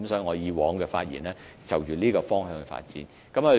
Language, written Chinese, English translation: Cantonese, 我以往說的是朝着這方向發展。, What I have talked about is to work toward this direction